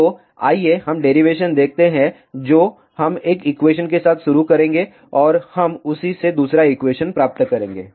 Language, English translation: Hindi, So, let us see the derivation we will start with one of the equation and we will get the second equation from that